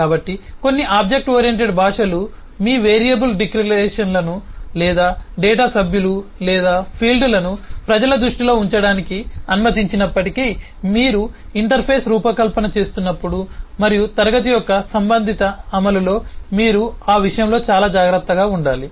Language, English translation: Telugu, So, even though some object oriented languages might allow your eh, variable declarations or data, members or fields to be put in the public view, you should be very careful in terms of doing that while you are designing an interface and the corresponding implementation of the class